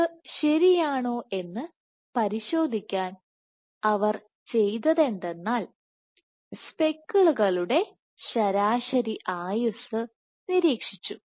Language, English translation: Malayalam, So, this they also what they did to check whether this is true they tracked the average lifetime of the speckles